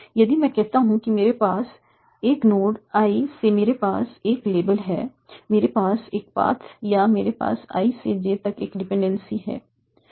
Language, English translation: Hindi, If I say that from a node I, I have a label, I have a path or I have a dependency from I to J